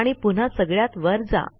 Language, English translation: Marathi, And then go back to the top